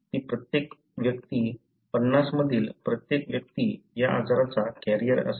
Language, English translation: Marathi, That is every individual, every one individual in 50 would be carrier for this disease